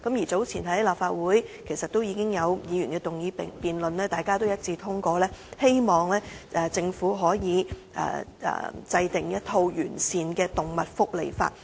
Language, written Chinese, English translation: Cantonese, 早前已有立法會議員動議議案辯論，而大家亦一致通過議案，希望政府制定完善的動物福利法。, Recently a Member of this Council moved a motion for debate . This Council also passed the motion unanimously hoping that the Government can enact a comprehensive animal welfare law